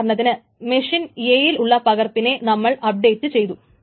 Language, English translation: Malayalam, Because suppose the copy in machine A has been updated